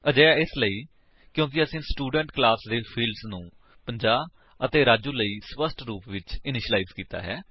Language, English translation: Punjabi, This is because we had explicitly initialized the fields of the Student class to 50 and Raju